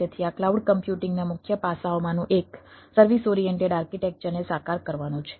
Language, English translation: Gujarati, so one of the major aspects of this cloud computing is to realize service oriented architecture